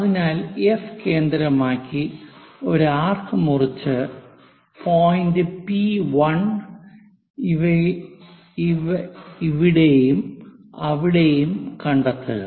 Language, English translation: Malayalam, So, make an arc from center this F to locate point P 1 somewhere here and somewhere here